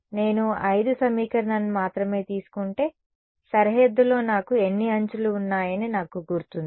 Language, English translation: Telugu, If I take only equation 5 I remember I have how many edges on the boundary